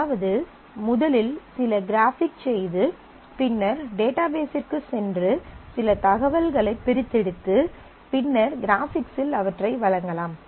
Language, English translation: Tamil, That is I can do some graphic representation and then certainly go to the database extract some information and then present it in the graphics and vice versa